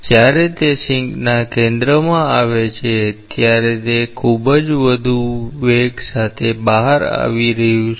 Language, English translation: Gujarati, When it comes to the center of the sink, it is coming out with a very high velocity